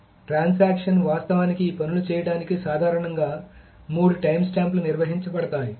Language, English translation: Telugu, So, for the transaction to actually do these things, there are generally three timestamps are maintained